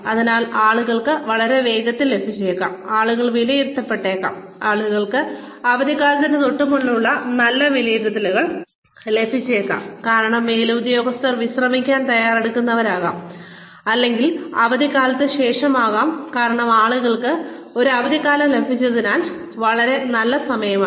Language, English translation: Malayalam, So, people may get very fast, you know people may be appraised or people may get very good appraisals, just before the holiday season because the superiors are getting ready to go for a break, or just after the holiday season because people have had a very nice time